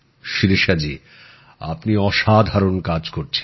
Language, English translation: Bengali, Shirisha ji you are doing a wonderful work